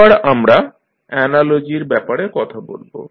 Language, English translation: Bengali, Now, let us talk about the analogies